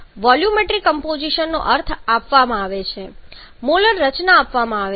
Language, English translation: Gujarati, The volumetric compositions are given means the molar composition itself is given